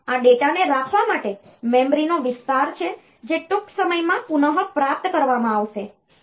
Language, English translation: Gujarati, So, this is this is an area of memory to hold the data that will be retrieved soon